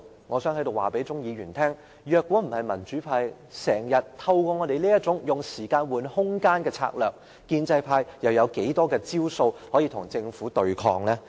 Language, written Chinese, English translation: Cantonese, 我想在此告訴鍾議員，如果不是民主派經常採取這種"用時間換空間"的策略，建制派又能有多少招數與政府對抗？, On this point I would like to tell Mr CHUNG if the pro - democracy camp does not often deploy the delaying tactics to make room for discussion what tactics does the pro - establishment camp have to confront the Government?